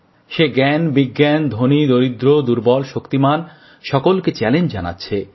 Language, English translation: Bengali, It is posing a challenge to Knowledge, science, the rich and the poor, the strong and the weak alike